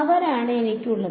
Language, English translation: Malayalam, They are I have just